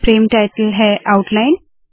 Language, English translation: Hindi, Frame title is outline